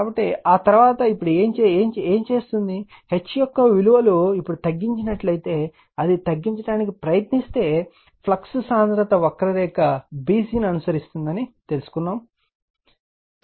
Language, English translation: Telugu, So, after that what you will do that your now if the values of H is now reduce it right you try to reduce, it is found that flux density follows the curve b c right